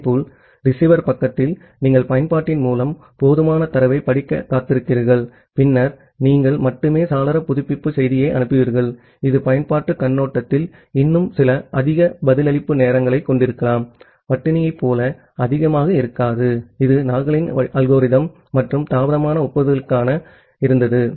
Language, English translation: Tamil, Similarly, on the receiver side you are waiting for sufficient data to read by the application and then only you will send the window update message, this may still have some higher response time from the application perspective, may not be as high as like a starvation which was there for Nagle’s algorithm and delayed acknowledgement